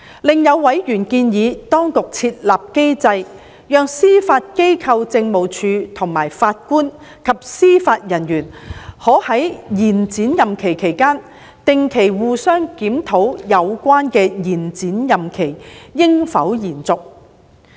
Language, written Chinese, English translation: Cantonese, 另有委員建議當局設立機制，讓司法機構政務處和法官及司法人員可在延展任期期間，定期互相檢討有關的延展任期應否延續。, Some members have suggested putting in place a mechanism so that during the extended term of office of JJOs the Judiciary Administration and the JJOs concerned may mutually review on a regular basis whether the extended term of office should continue